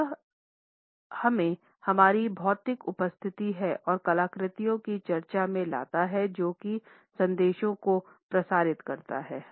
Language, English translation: Hindi, This brings us to the discussion of our physical appearance and artifacts which also transmits messages